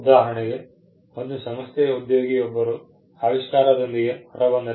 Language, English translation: Kannada, Say, an employee in an organization comes out with an invention